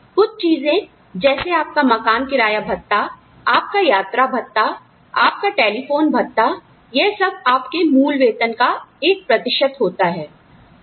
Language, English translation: Hindi, Things like, your house rent allowance, your travel allowance, your telephone allowance; all of these are a percentage of your base pay